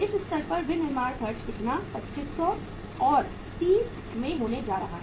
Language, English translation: Hindi, Manufacturing expenses at this stage are going to be how much, 2500 and into 30